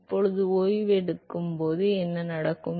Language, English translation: Tamil, Now what happens when it comes to rest